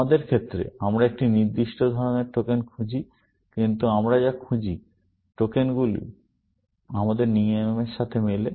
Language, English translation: Bengali, In our case, also we are looking for tokens with, of a specific kind, but what we are looking for, tokens with match our rules, essentially